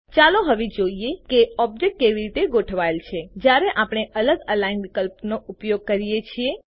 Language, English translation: Gujarati, Let us now see how an object is aligned when we use different Align options